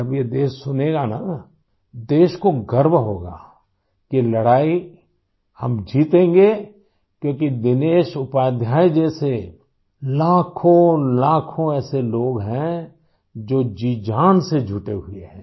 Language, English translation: Hindi, When the country listens to this, she will feel proud that we shall win the battle, since lakhs of people like Dinesh Upadhyaya ji are persevering, leaving no stone unturned